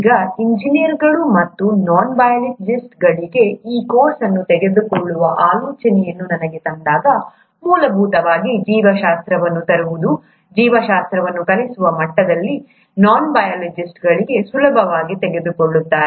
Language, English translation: Kannada, Now when this idea of taking this course for engineers and non biologists was brought up to me, the idea was to essentially bring in biology, teaching biology at a level which will be easily taken up by the non biologists